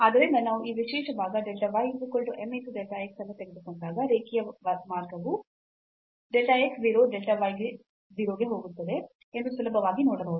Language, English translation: Kannada, So, we will easily realize that, when we take this special part delta y is equal to m delta x the linear path to go to delta x 0 delta y 0